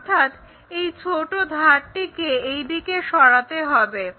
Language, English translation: Bengali, So, move this small edge in that way